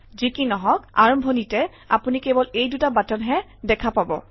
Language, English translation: Assamese, In the beginning however, you will see only these two buttons